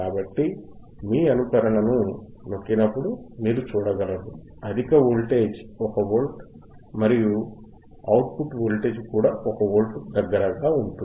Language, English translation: Telugu, So, when you impress simulation you will be able to see that right now, high voltage is about 1 volt, and may output voltage is also close to 1 volt